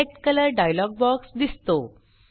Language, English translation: Marathi, The Select Color dialogue box is displayed